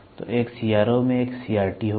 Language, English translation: Hindi, So, a CRO will have a CRT